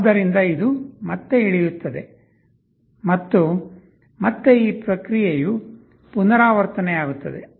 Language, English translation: Kannada, So, this will again go down and again this process will repeat